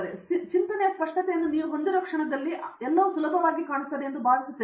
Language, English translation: Kannada, The moment you have that clarity of thought then I think it becomes very easy see which ever